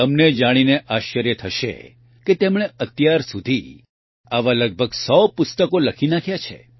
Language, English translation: Gujarati, You will be surprised to know that till now he has written around a 100 such books